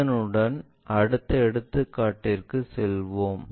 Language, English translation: Tamil, With that, let us move on to the next example